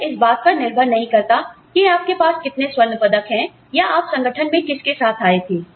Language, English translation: Hindi, It is not dependent, on the number of gold medals, you have, or what you came to the organization, with